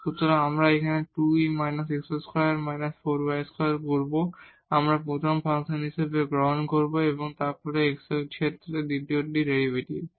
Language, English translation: Bengali, So, we will do here 2 times e power minus this x square minus 4 square, we will take as the first function and then the derivative of the second with respect to x